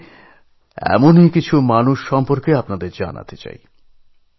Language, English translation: Bengali, I would like to tell you about some of these people